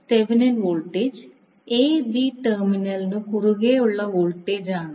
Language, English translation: Malayalam, So Thevenin voltage is nothing but the voltage across the terminal a b